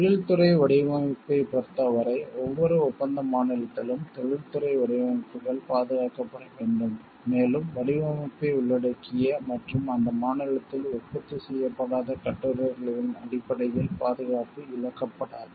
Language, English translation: Tamil, In case of industrial design, industrial designs must be protected in each contracting state, and protection may not be forfeited on the ground that articles incorporating the design are not manufactured in that state